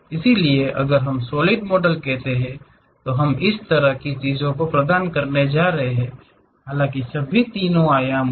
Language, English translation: Hindi, So, a detailed view if we are going to provide such kind of things what we call solid models; though all are three dimensional